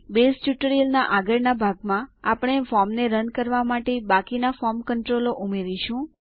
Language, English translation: Gujarati, In the next part of the Base tutorial, we will continue adding the rest of the form controls to our form